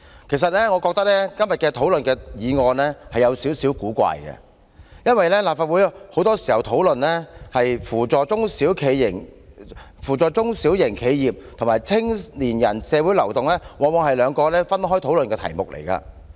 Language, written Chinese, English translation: Cantonese, 其實我覺得今天討論的議案是有點古怪，因為立法會很多時候討論扶助中小型企業與青年人社會流動往往是兩個分開討論的議題。, The motion today is indeed a bit odd to me because the assistance to small and medium enterprises SMEs and the social mobility of young people are usually considered as two separate subjects in our Councils discussion